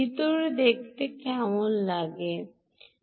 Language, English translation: Bengali, look inside, how does it look inside